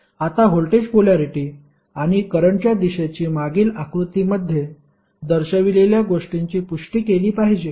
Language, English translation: Marathi, Now, the voltage polarity and current direction should confirm to those shown in the previous figure